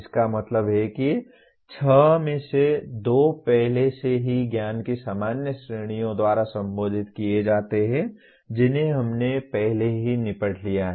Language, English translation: Hindi, That means two of the six are already addressed by general categories of knowledge that we have already dealt with